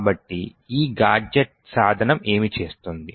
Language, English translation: Telugu, So, what this gadget tool would do